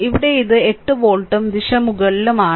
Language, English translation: Malayalam, So, here it is 8 volt and direction is upward